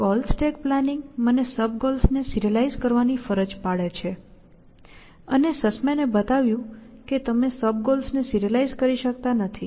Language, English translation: Gujarati, Goal stack planning is forcing me to serialize the sub goals in some order, and what sussmans showed was that you cannot serialize the sub